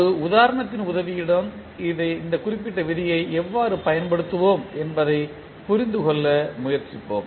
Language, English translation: Tamil, Let us try to understand how we will apply this particular rule with the help of one example